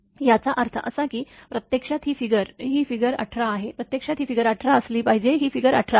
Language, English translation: Marathi, That means, this is that your this is actually this is figure, it is figure 18, actually it should be figure 18, this is figure 18